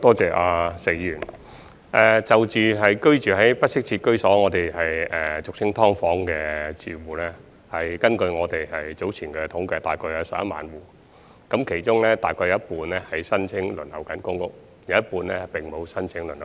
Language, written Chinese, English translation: Cantonese, 就居住在不適切居所，即俗稱"劏房"的住戶，根據我們早前的統計約有3萬戶，其中約有一半正申請輪候公屋，另有一半並沒有申請輪候公屋。, According to a statistical survey we conducted earlier there are around 30 000 households living in inadequate housing which is commonly known as subdivided units and about half of them are PRH applicant households while the other half have not applied for PRH